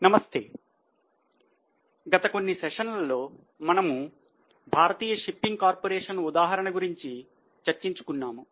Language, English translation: Telugu, Namaste In last few sessions we are discussing the case of shipping corporation of India